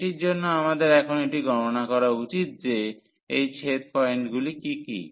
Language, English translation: Bengali, So, on this we need to compute now what is this intersection points